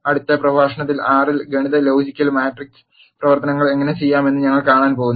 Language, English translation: Malayalam, In the next lecture we are going to see how to do arithmetic logical and matrix operations in r